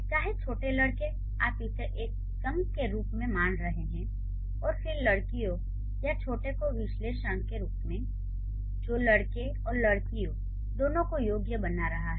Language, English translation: Hindi, So, whether small boys, you are considering it as a chunk, then and girls, or small as the objective which is qualifying both boys and girls, right